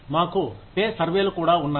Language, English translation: Telugu, We also have pay surveys